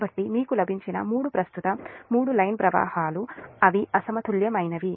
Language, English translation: Telugu, so three current three line currents you have got, and they are unbalanced